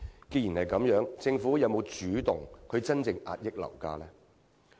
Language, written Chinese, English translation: Cantonese, 既然如此，政府是否有動力去真正遏抑樓價？, If so is the Government genuinely motivated to curb property prices?